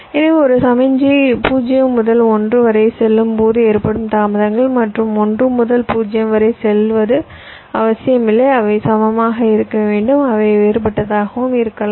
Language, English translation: Tamil, so the delays when a signal is going from zero to one and going from one to zero may need not necessary be equal, they can be different also